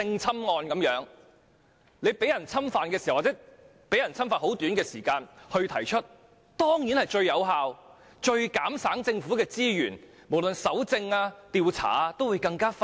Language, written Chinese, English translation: Cantonese, 正如性侵案件，在遭受侵犯後短時間內舉報當然是最有效、最減省政府資源的做法，在搜證或調查方面也會更快。, Just like sexual assault cases making a report soon after an assault incident is certainly the most effective way which can minimize the use of government resources while speeding up collection of evidence or investigation